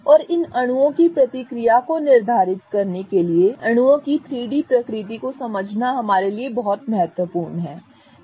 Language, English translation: Hindi, And it is very important for us to understand the 3D nature of molecules to determine the reactivity of these molecules